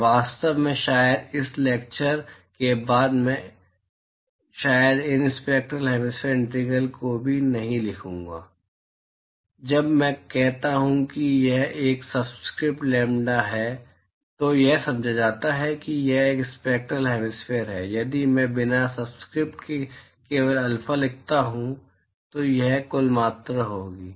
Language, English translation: Hindi, And in fact, maybe after this lecture I will probably not even write these spectral hemispherical integrals, when I say it is a subscript lambda it is understood that it is spectral hemispherical, if I write simply alpha without a subscript it will be total quantity